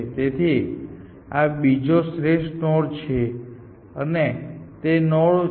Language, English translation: Gujarati, So, this is second best node and that is it node